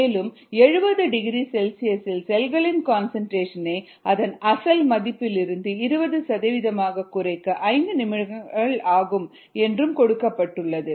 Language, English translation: Tamil, at seventy degree c it takes five minutes for the viable cell concentration to reduce to twenty percent of its original value